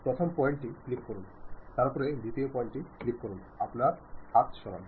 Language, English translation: Bengali, Click first point, then click second point, freely move your hands